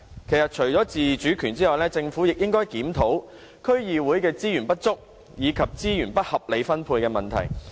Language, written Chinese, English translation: Cantonese, 其實，除了自主權，政府亦應該檢討區議會的資源不足，以及資源不合理分配的問題。, In addition to the review of autonomy the Government should also consider the problem of inadequate resources and unreasonable distribution of resources